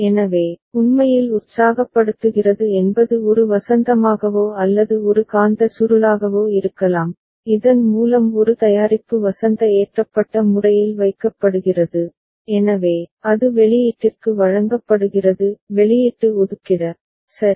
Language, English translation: Tamil, So, that accentuates that actually energizes may be a spring or a magnetic coil by which a product which is a kept in a spring loaded manner, so, that is getting delivered to the output – output placeholder, right